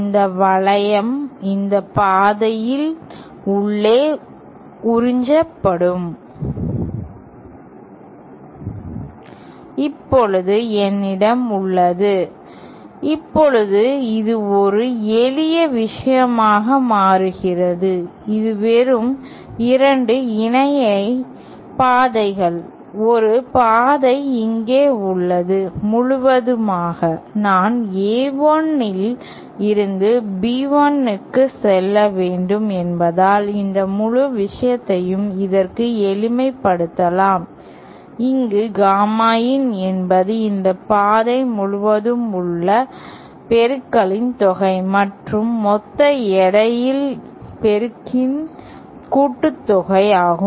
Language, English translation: Tamil, This loop will be absorbed inside this path with a weightage of, Now I have, now this becomes a simple thing, this is just 2 parallel paths, one path is here and so this whole, since I have to go from A1 to B1, this whole thing can be simplified to this where gamma in is just the addition of the total path product along this path, along this path and the total product of the total weight along this path